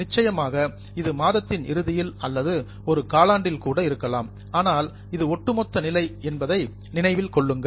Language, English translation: Tamil, Of course, it can be at the end of the month or a quarter also, but keep in mind it's a cumulative position